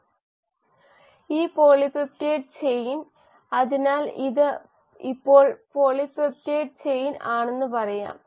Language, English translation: Malayalam, This polypeptide chain; so let us say this is now the polypeptide chain